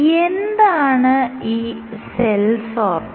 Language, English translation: Malayalam, Why is the cell sorter